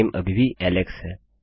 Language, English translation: Hindi, The name is still Alex